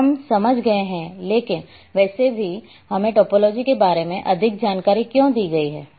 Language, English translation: Hindi, So, we have understood, but anyway let us go more in details about why topology